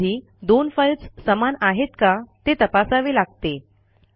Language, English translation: Marathi, Sometimes we need to check whether two files are same